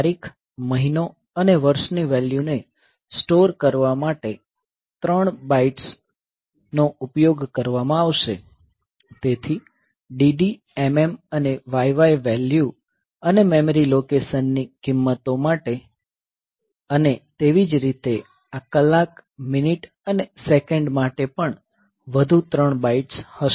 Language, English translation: Gujarati, Three bytes will be used to store the date, month and year values; so dd mm and yy values and the values of the memory location; similarly for this hour minute second also will three more bytes